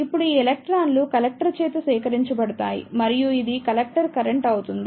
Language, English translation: Telugu, Now, these electrons will be collected by the collector and this will constitute the collector current